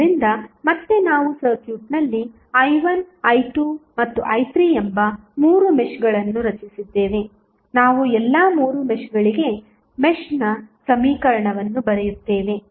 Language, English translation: Kannada, So, again we have three meshes created in the circuit that is i 1, i 2 and i 3, we will write the mesh equation for all three meshes